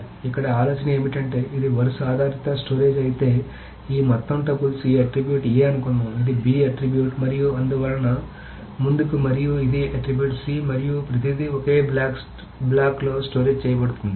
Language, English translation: Telugu, So here is the idea is that if it is row based storage, this entire tuples, suppose this is attribute A, this is attribute B and so on so forth and this is attribute C, everything is stored in a single block